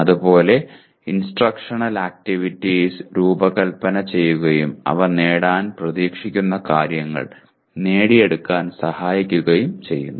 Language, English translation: Malayalam, Similarly, instructional activities are designed and conducted to facilitate them to acquire what they are expected to achieve